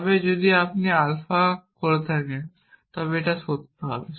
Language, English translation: Bengali, but if you have made alpha is true here